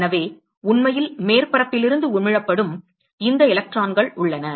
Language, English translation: Tamil, So, there are these electrons which are actually emitted from the surface